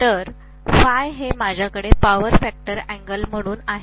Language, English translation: Marathi, So this is some phi I am having as the power factor angle